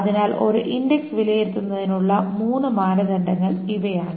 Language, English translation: Malayalam, So these are the three criteria for evaluating an index